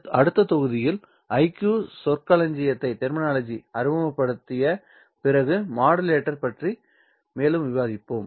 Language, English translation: Tamil, We will discuss more about IQ modulator after we introduce IQ terminology in the next module